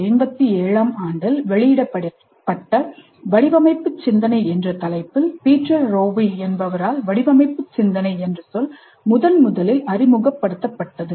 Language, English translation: Tamil, The term design thinking was first introduced by Peter Rewe in his book titled Design Thinking, which was published in 1987